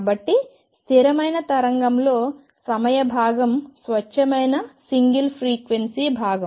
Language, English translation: Telugu, So, time part of a stationary wave was a pure single frequency part right